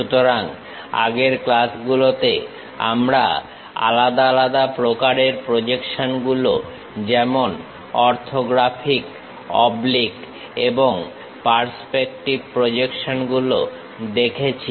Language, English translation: Bengali, So, in the earlier classes, we have seen different kind of projections as orthographic oblique and perspective projections